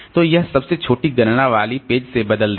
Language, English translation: Hindi, So, replace page with the smallest count